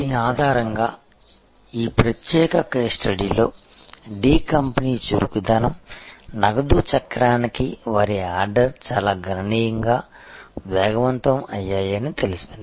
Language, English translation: Telugu, And based on this, it has been shown in this particular case study that the D company’s nimbleness, their order to cash cycle has accelerated quite significantly